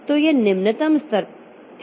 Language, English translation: Hindi, So, this is the lowest level